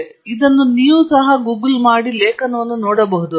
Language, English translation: Kannada, In fact, you can Google it and find the article